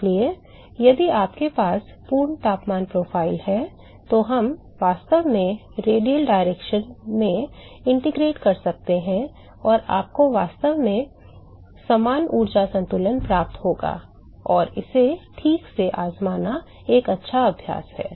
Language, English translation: Hindi, So, if you have a full temperature profile, we can actually integrate in the radial direction and you would actually get a same energy balance and it is a good exercise to try it out ok